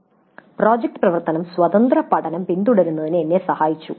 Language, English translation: Malayalam, Then project work helped me in pursuing independent learning